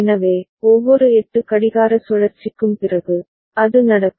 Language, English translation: Tamil, So, after every 8 clock cycle, it will happen